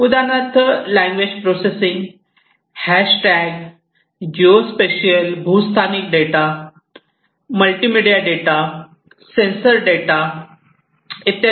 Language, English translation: Marathi, So, example would be language processing, hash tags, geo spatial data, multimedia data, sensor data, etcetera